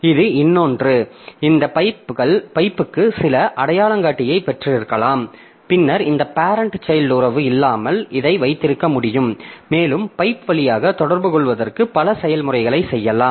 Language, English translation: Tamil, So, you have got some identifier for the pipe, for this pipe and then you can have this without having this parent child relationship also you can make multiple processes to communicate via the pipe